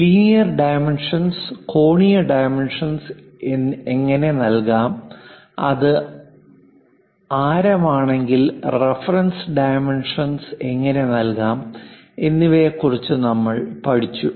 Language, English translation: Malayalam, We learned something about linear dimensions, how to give angular dimensions, if it is radius and what are reference dimensions